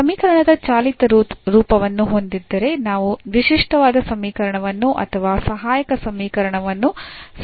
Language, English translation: Kannada, So, once we have the operated form operated form of the equation we can easily write down the characteristic equation, so or the auxiliary equation